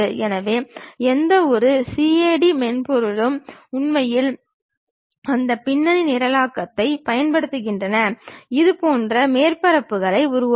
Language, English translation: Tamil, So, any CAD software actually employs that background programming, to construct such kind of surfaces